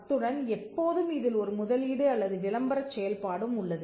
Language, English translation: Tamil, And always there is also an investment or an advertising function